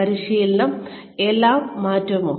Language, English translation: Malayalam, Will training change everything